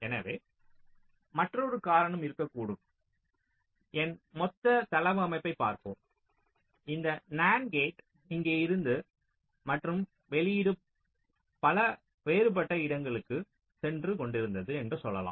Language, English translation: Tamil, so there can be another reason like, say, lets look at my total layout, lets say my, this nand gate was here and the output was going to so many different place